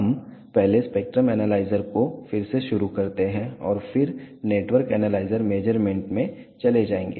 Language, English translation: Hindi, We restart the spectrum analyzer first and then will move to network analyzer measurements